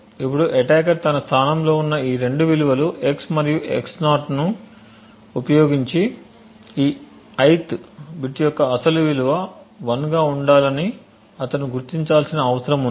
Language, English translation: Telugu, Now what the attacker has in his position these two values x and x~ form this he needs to identify that the original value for this ith bit should be 1